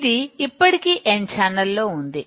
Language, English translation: Telugu, This already n channel is there